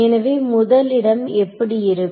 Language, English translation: Tamil, So, the first term will become like this